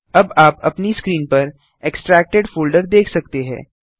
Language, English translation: Hindi, Now you can see the extracted folder on your screen